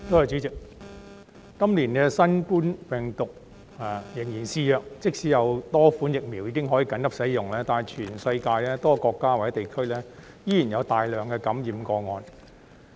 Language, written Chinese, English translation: Cantonese, 主席，今年新冠病毒仍然肆虐，即使有多款疫苗已可緊急使用，但全世界多個國家或地區依然有大量感染個案。, President the noval coronavirus is still rampant this year . Despite the availability of several vaccines for emergency use there are still a large number of infections in many countries or regions around the world